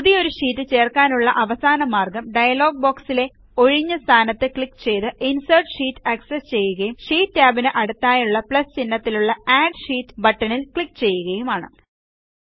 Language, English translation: Malayalam, The last method of inserting a new sheet by accessing the Insert Sheet dialog box is by simply clicking on the empty space next to the Add Sheet plus sign in the sheet tabs at the bottom